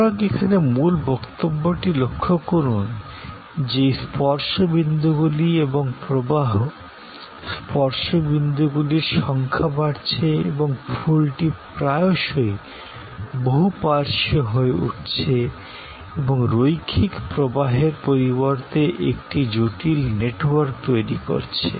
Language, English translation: Bengali, So, the key point here to notices that this touch points and the flow, the touch points, the number of touch points are increasing and the flower are often becoming multi lateral and creating a complex network rather than a linear flow